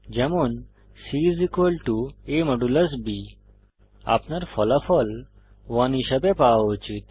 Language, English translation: Bengali, c = a#160% b You should obtain the result as 1